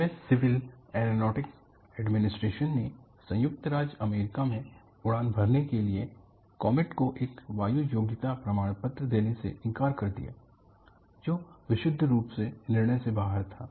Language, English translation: Hindi, The U S Civil Aeronautics Administration has refused to grant comet an air worthiness certificate to fly in the United States, purely out of a judgment